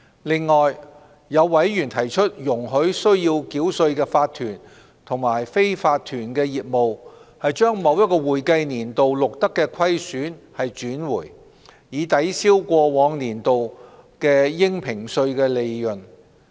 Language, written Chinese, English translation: Cantonese, 此外，有委員提出容許須繳稅的法團及非法團業務把某一會計年度錄得的虧損轉回，以抵銷過往年度的應評稅利潤。, In addition some members have suggested allowing losses made in an accounting year to be carried backward for setting off against the assessable profits of tax - paying corporations and unincorporated businesses in the previous years